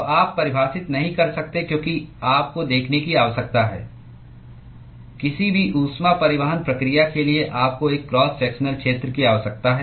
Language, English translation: Hindi, So, you cannot define because the you need a see, for any heat transport process, you need a cross sectional area